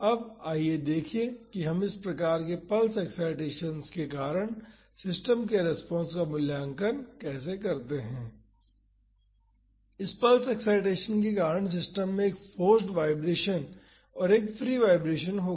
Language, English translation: Hindi, Now, let us see how we evaluate the response of a system due to this type of pulse excitations, because of this pulse excitation the system will have a forced vibration and a free vibration